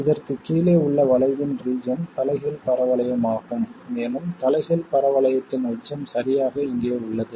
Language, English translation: Tamil, It turns out that the part of the curve below this is that inverted parabola and the peak of that inverted parabola happens to be exactly here